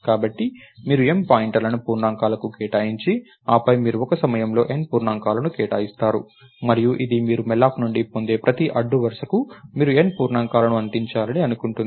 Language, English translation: Telugu, So, you allocate M pointers to integers and then, you allocate N integers at a time and this will suppo this is supposed to give you N integers